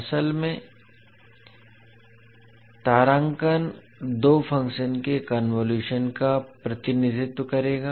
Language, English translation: Hindi, Basically the asterisk will represent the convolution of two functions